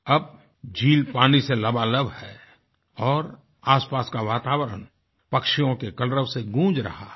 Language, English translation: Hindi, The lake now is brimming with water; the surroundings wake up to the melody of the chirping of birds